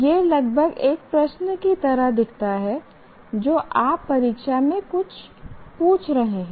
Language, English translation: Hindi, It almost looks like a question that you are asking in the examination